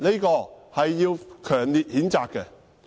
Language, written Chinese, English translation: Cantonese, 這是要強烈譴責的。, This should be strongly condemned